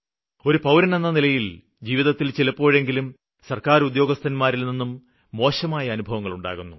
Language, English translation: Malayalam, And as a citizen we surely have a bad experience with a government official in our lifetime